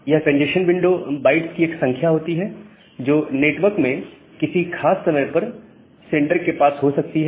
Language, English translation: Hindi, So, this congestion window is the number of bytes that the sender may have in the network at any instance of time